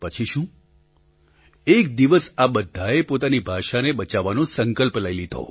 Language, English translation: Gujarati, And then, one fine day, they got together and resolved to save their language